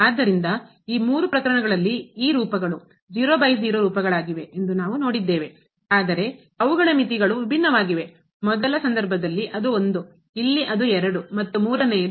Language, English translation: Kannada, So, in these all three cases we have seen that these forms were by forms, but their limits are different; in the first case it is , here it is and the third one is